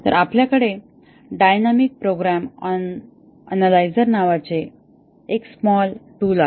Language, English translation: Marathi, Then, we have a small tool called as a dynamic program analyzer